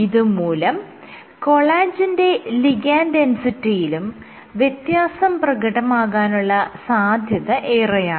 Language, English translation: Malayalam, So, collagen is also changing the ligand density